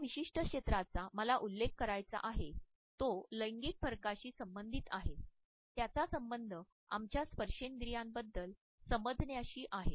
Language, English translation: Marathi, A particular area which I want to touch upon is related with gender differences as far as our understanding of haptics is concerned